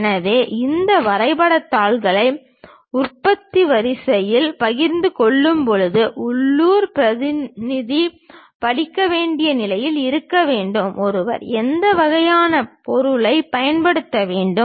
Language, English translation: Tamil, So, when we are sharing these drawing sheets to the production line; the local representative should be in a position to really read, what kind of material one has to use